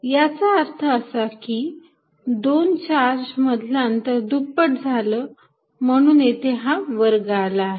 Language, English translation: Marathi, That means, if the distance between two charges doubled, because of this square out here